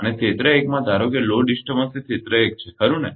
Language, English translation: Gujarati, And, in area 1 ah suppose load disturbance is area 1, right